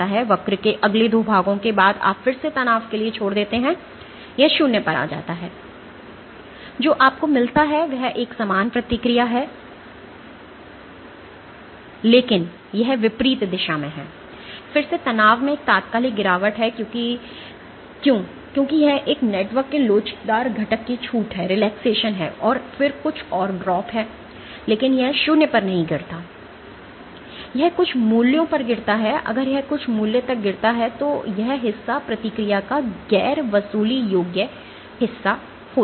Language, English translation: Hindi, So, the first 2 portions of the curve is called the creep, the next 2 portion of the curve is after you drop up to the stress again drops to 0 what you get is a similar response, but it is the opposite direction there is an instantaneous drop in the strain again, why because this is relaxation of the elastic component of the network, and then there is some another drop, but this does not drop to 0 it drops to some values if it drops to some value this part is the non recoverable part of the response